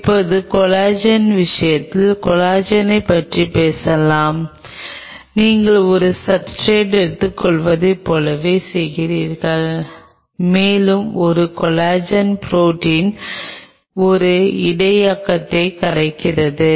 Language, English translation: Tamil, Now let us talk about Collagen in the case of collagen again you are doing the same thing you take a substrate and you have a collagen protein dissolve in a buffer